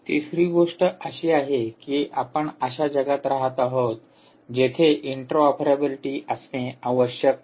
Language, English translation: Marathi, the third thing is: you are bound to live in a world where there has to be interoperability